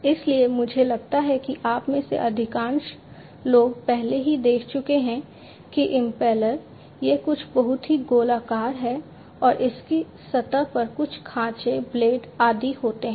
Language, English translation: Hindi, So, impellers I think most of you have already seen that it is something very circular and has some grooves blades and so on, on its surface